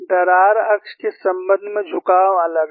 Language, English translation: Hindi, The tilt is different with respect to the crack axis